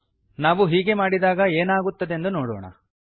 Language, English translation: Kannada, Let us see what happens when we do that